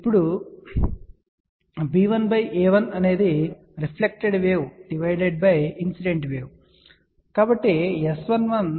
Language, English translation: Telugu, Now, b 1 by a 1 is nothing but reflected wave divided by incident wave